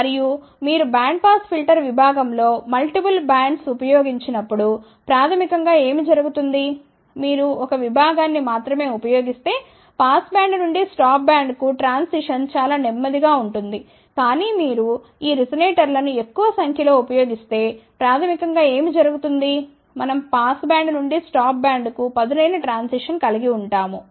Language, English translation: Telugu, And, when you use multiple of these bandpass filter section basically what happens, if you use only 1 section the transition from the pass band to the stop band will be relatively slow , but if you use larger number of these resonators then basically what happens, we can will have a sharper transition from the pass band to the stop band